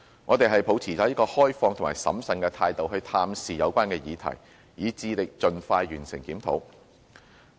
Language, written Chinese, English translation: Cantonese, 我們是抱持着開放和審慎的態度探視有關議題，以致力盡快完成檢討。, We will study the issues with an open mind and with prudence and will endeavour to complete the review as soon as possible